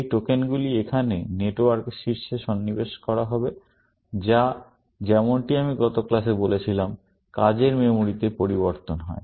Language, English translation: Bengali, Those tokens would be inserted here, at the top of the network, which is, as I said in the last class, changes in the working memory